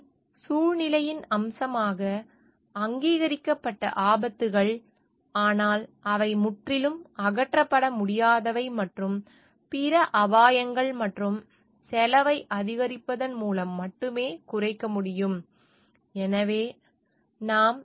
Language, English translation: Tamil, And hazards that are recognized feature of the situation but that cannot be completely eliminated and can be mitigated only by increasing other risks and cost